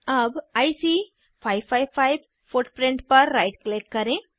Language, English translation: Hindi, Now right click on IC 555 footprint